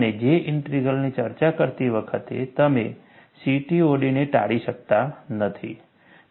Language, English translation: Gujarati, And while discussing J Integral, you cannot avoid CTOD